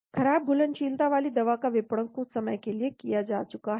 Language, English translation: Hindi, The drug with poor solubility has been marketed for some time